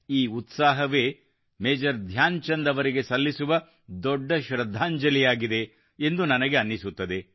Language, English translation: Kannada, All of us know that today is the birth anniversary of Major Dhyanchand ji